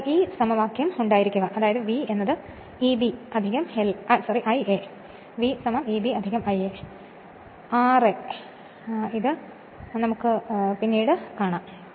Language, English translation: Malayalam, Then we have this equation, V is equal to E b plus I a, r a we will see this, we will see this later, we will see this later right